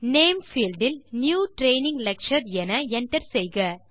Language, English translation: Tamil, In the Name field, enter New Training Lecture